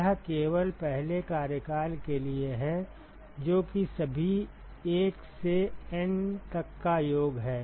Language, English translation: Hindi, That is only for the first term, that is summed over all 1 to N right